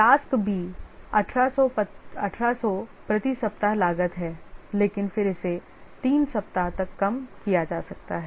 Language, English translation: Hindi, Task B, 1800 is the cost per week but then it can at most be reduced by three weeks